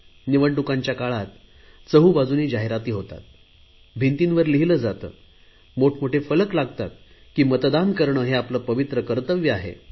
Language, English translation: Marathi, At the most, whenever there are elections, then we see advertisement all around us, they write on the walls and hoardings are put to tell that to vote is our sacred duty